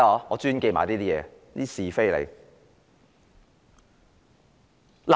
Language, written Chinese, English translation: Cantonese, 我專門記得這些是非。, I am particularly good at remembering gossips